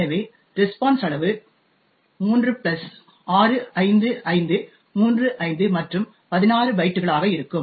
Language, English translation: Tamil, Therefore, the size of the response is going to be 3 plus 65535 plus 16 bytes